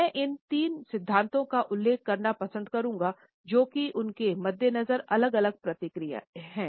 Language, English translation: Hindi, I would prefer to refer to these three theories, which is started different responses in their wake